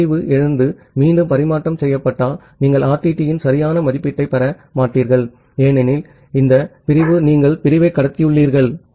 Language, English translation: Tamil, If a segment has lost and retransmitted again, then you will not get the proper estimation of RTT because this segment you have transmitted the segment